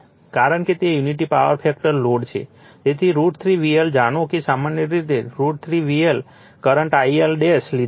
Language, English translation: Gujarati, Because, your it is unity power factor load, so root 3 V L, we know that general root 3 V L, the current we have taken I L dash